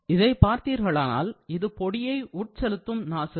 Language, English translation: Tamil, If you look at it, this is a powder feed nozzle